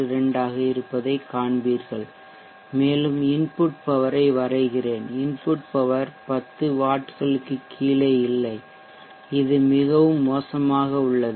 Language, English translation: Tamil, 62, and let me plot the input power, you see the input power is not below 10 vats which is really poor